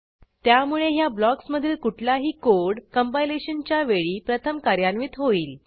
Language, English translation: Marathi, So, any code written inside this block gets executed first during compilation